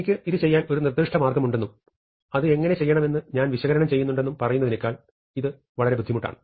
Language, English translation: Malayalam, This is much harder than saying I have a specific way of doing it and I am analyzing how to do that